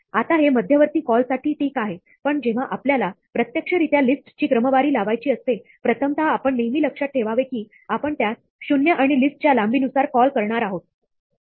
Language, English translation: Marathi, Now, this is fine for the intermediate calls, but, when we want to actually sort a list, the first time we have to always remember to call it with zero, and the length of the list